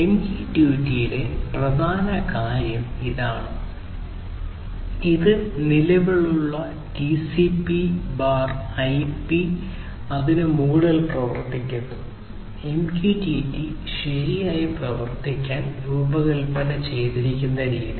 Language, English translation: Malayalam, This is the key thing over here in MQTT and this works on top of the existing TCP/IP, the way MQTT has been designed to work right